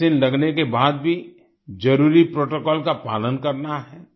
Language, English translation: Hindi, Even after getting vaccinated, the necessary protocol has to be followed